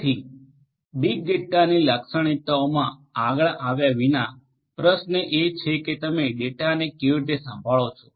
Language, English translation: Gujarati, So, without getting into the characteristics of big data further; the question is that how do you handle the data